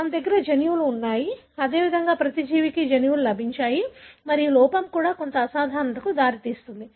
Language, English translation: Telugu, So, we have genes, likewise every living species have got the genes and defect there in should also result in some abnormality